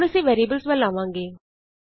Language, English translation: Punjabi, Now we will move on to variables